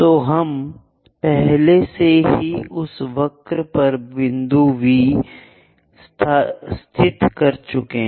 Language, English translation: Hindi, So, we have already located point V on that curve